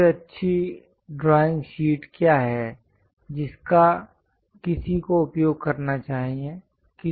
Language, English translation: Hindi, What is the best drawing sheet one should use